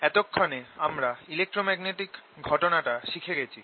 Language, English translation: Bengali, by now we have learnt that electromagnetic phenomena